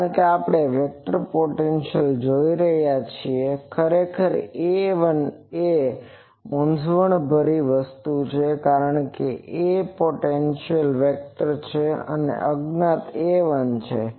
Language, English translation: Gujarati, Because, we are seeing the vector potentially actually this A 1 is a confusing thing, because this is a vector potentially A and this is the unknown A 1